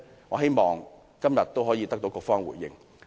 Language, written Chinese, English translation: Cantonese, 我希望今天局方可以作出回應。, I hope that the Bureau can give a response today